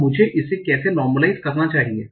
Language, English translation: Hindi, Now, how should I normalize it